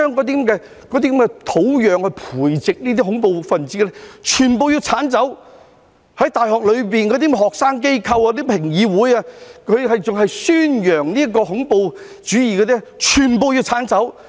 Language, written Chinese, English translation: Cantonese, 便是要將培植這些"恐怖分子"的土壤全部剷走，大學的學生機構、評議會還在宣揚恐怖主義，全部都要剷走。, We should remove the soil that breeds these terrorists . Student organizations and consultative councils in universities which are still advocating terrorism must all be removed